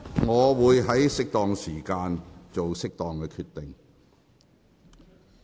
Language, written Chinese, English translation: Cantonese, 我會在適當的時候，作適當的決定。, I will make an appropriate decision in due course